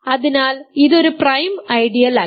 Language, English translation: Malayalam, So, it is not a prime ideal